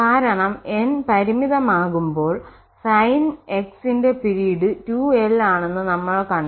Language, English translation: Malayalam, Because for this when n is finite we have seen that the period of this 2n or Sn x is 2l